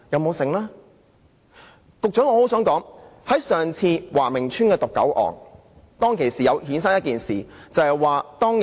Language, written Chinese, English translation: Cantonese, 我想告訴局長，上次華明邨的毒狗案，還衍生了另一件事。, I wish to tell the Secretary that the dog poisoning cases in Wah Ming Estate have had a sequel